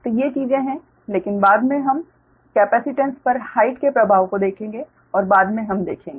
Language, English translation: Hindi, so these are the, these are things, but later we will see that effect of the height on the capacitance